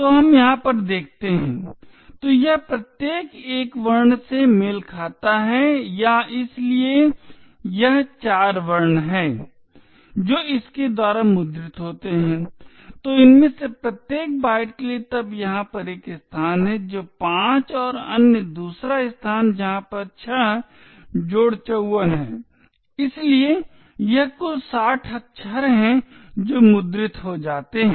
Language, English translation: Hindi, So let us see over here so each of this corresponds to a one character or so it is 4 characters that are printed by this, so one for each of these bytes then there is a space over here so five and another space over here six plus 54 so it is a total of sixty characters that gets printed